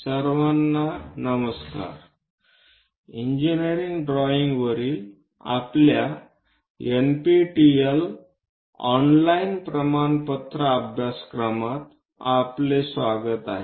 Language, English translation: Marathi, Hello everyone, welcome to our NPTEL online certification courses on engineering drawing